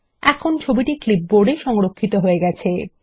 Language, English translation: Bengali, The image is now saved on the clipboard